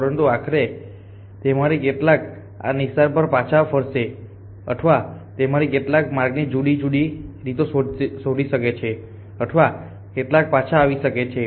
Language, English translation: Gujarati, But eventually some of them will come back to this trail or some of them may find different pass of the trail some make come back to the trail